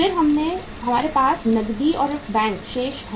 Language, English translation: Hindi, Then we have the cash and bank balances